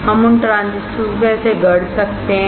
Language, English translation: Hindi, How we can fabricate those transistors